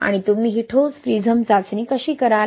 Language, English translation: Marathi, And how do you do this concrete prism test